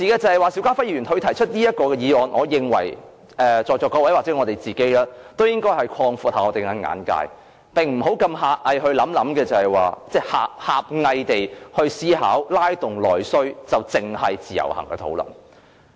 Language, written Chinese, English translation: Cantonese, 不過，邵家輝議員提出這項議案，我認為在座各位也應該擴闊一下自己的眼界，不要狹隘地思考，認為拉動內需只是關乎自由行的討論。, However when we deliberate on the motion moved by Mr SHIU Ka - fai I believe all of us here should take a broader perspective instead of adopting the rather narrow view that the discussion on stimulating internal demand covers the issue of IVS only . Let me cite a few examples to explain my point